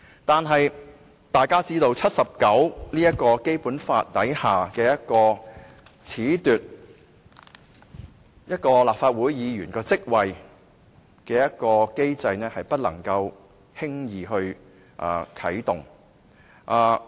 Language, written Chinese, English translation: Cantonese, 但是，大家知道，《基本法》第七十九條下褫奪立法會議員職位的機制是不能輕易地啟動的。, Nevertheless the mechanism of disqualification of a Member of the Legislative Council from office under Article 79 must not be activated casually